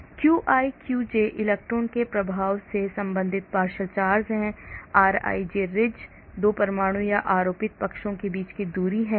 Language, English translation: Hindi, qi qj are the partial charges related to the charge of the electron, rij is the distance between 2 atoms or charged sides